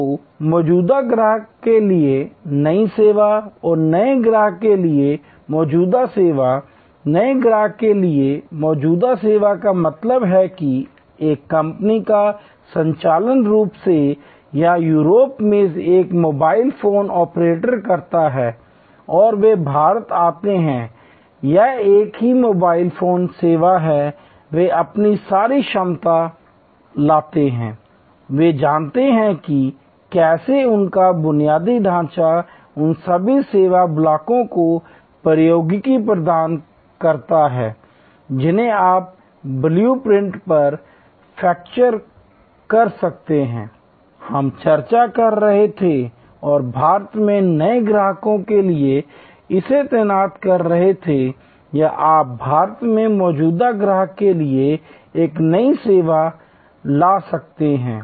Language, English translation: Hindi, So, new service to existing customer and existing service to new customer, existing service to new customer means that a company’s operating a mobile phone operator in Russia or in Europe and they come to India it is a same mobile phone service, they bring all their capability, they know how their infrastructure the technology all those service blocks, which you can capture on a blue print, which we were discussing and the deploy it for new customers in India or you can bring a new service to the existing customer in India